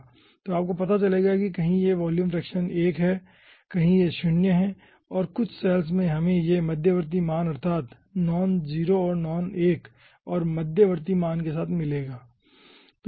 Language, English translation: Hindi, so you will be finding out that some where the volume fraction is 1, somewhere it is 0, and in some cells we are having ah intermediate, that means non 0 and non 1 and intermediate value